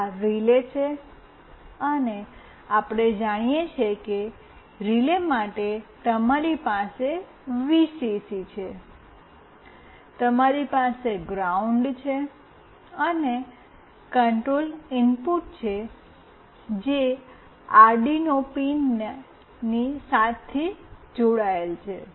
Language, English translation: Gujarati, This is the relay, and we know that for relay you have a Vcc, you have a ground, and a control input that is connected to pin 7 of Arduino